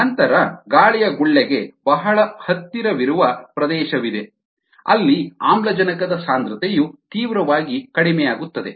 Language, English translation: Kannada, then there is a region very close to the air bubble where the concentration of oxygen decreases quite drastically